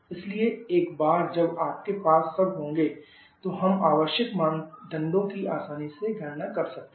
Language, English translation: Hindi, So once you have all of them then we can easily calculate the required parameters